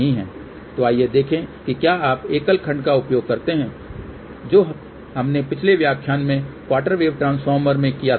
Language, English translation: Hindi, So, let us see if you use single section which we had done in the previous lecture of a quarter wave transformer